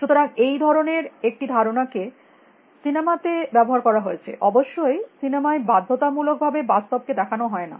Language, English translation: Bengali, So, this kind of an idea has been exploited in movies; of course, movies do not necessarily depict reality